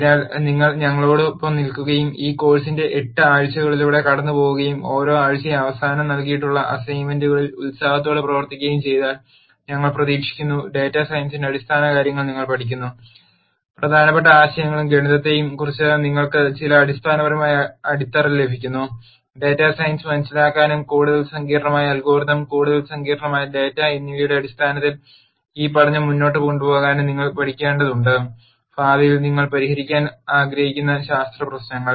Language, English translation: Malayalam, So, if you stick with us and get through all the eight weeks of this course and also diligently work on the assignments that are provided at the end of every week then we hope that you learn the fundamentals of data science, you get some fundamental grounding on important ideas and the math that you need to learn to understand data science and take this learning forward in terms of more complicated algorithms and more complicated data science problems that you might want to solve in the future